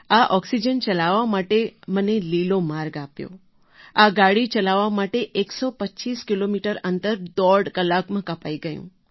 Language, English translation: Gujarati, I was given green path to drive this oxygen, I reached 125 kilometres in one and a half hour with this train